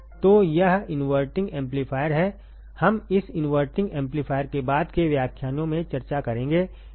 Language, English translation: Hindi, So, this is inverting amplifier, we will discuss this inverting amplifier in the subsequent lectures, right